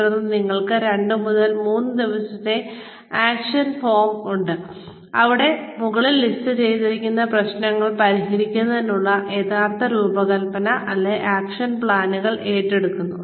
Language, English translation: Malayalam, Then, we have the action forum of 2 to 3 days, where the actual designing, or action plans, to solve the problems, listed above are undertaken